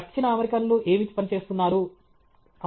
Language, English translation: Telugu, What are the South Americans working on